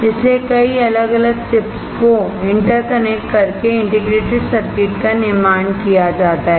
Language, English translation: Hindi, So, the integrated circuit is fabricated by interconnecting a number of individual chips